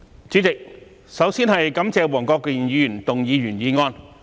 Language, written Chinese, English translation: Cantonese, 主席，我首先感謝黃國健議員動議原議案。, President first of all I would like to thank Mr WONG Kwok - kin for moving the original motion